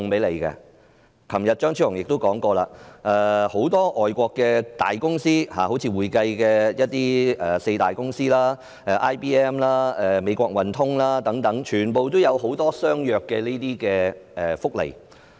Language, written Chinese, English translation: Cantonese, 昨天，張超雄議員也說過，很多外國公司，例如會計界的四大公司、IBM、美國運通等，全部也有相若的福利。, Yesterday Dr Fernando CHEUNG also said that many foreign companies such as the four leading accountancy firms IBM American Express etc offer comparable benefits